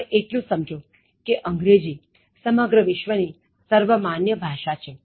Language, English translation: Gujarati, Now understand that English is a globally used common language